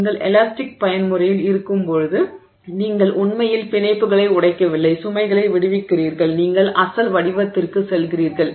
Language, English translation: Tamil, When you are within the elastic mode because you have not really broken bonds, you release the load you go back to the original shape